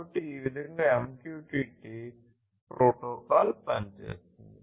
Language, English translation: Telugu, So, this is how this MQTT protocol works